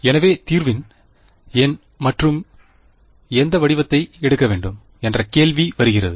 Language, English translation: Tamil, So, here comes the question of which form of the solution to take and why